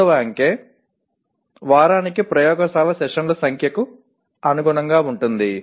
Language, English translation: Telugu, The third digit corresponds to number of laboratory sessions per week